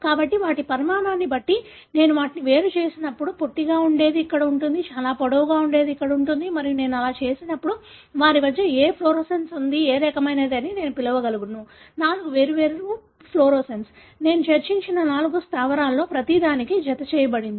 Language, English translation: Telugu, So, when I separate them depending on their size, the one that are shorter will be here, one that are very long are going to be here and when I do that, I will be able to call what fluorescence they have, which kind of the four different fluorescence, that I discussed which are attached to each one of the four bases